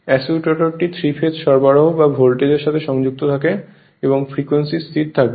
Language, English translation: Bengali, You assume it is connected to the three phase supply or voltage and frequency will remain constant right